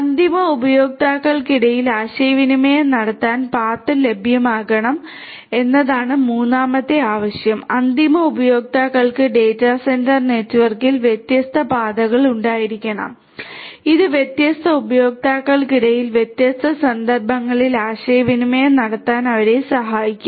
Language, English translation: Malayalam, Say third requirement is that path should be available among the end users to communicate, end users should have different paths in the data centre network which will help them to communicate between different instances between different different users and so on